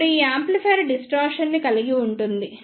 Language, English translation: Telugu, Now, these amplifier suffers from the distortion